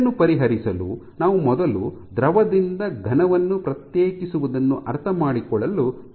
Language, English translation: Kannada, So, in order to address that we must first try to understand what distinguishes a solid from a liquid